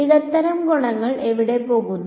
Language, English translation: Malayalam, Where do the medium properties going to